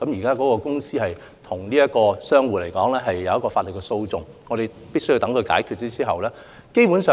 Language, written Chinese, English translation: Cantonese, 有關公司和商戶現時已展開法律訴訟，我們必須等待案件解決。, The operator and the shop tenant have already commenced legal proceedings and we must wait for the resolution of the case